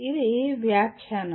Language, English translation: Telugu, These are interpretation